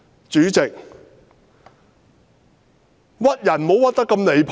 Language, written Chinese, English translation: Cantonese, 主席，"屈"人也不能太離譜。, President one should not go too far even when he wants to frame others